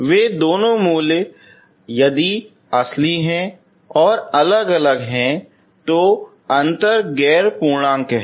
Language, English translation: Hindi, Those two roots if they are real, if they are distinct, the difference is non integer